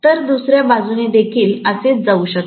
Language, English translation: Marathi, So, similarly the other side also it can go like this